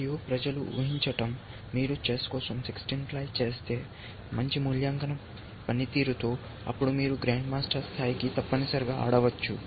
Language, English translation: Telugu, And people have surmised, that if you do sixteen ply look ahead for chess, with risibly good evaluation function, then you can play the grandmaster level essentially